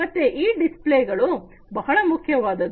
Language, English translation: Kannada, So, these displays are very important